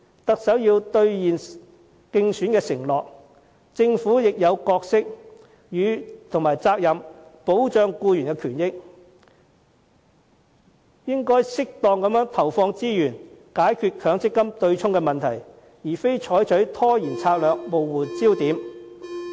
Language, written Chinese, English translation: Cantonese, 特首要兌現競選承諾，政府亦有角色和責任保障僱員權益，應該適當地投放資源解決強積金對沖問題，而非採取拖延策略，模糊焦點。, While the Chief Executive should honour his election pledge the Government has to play a role and bear responsibility in protecting the rights and benefits of employees . It should duly put in resources to solve the MPF offsetting problem and should not employ the delaying tactic to blur the focus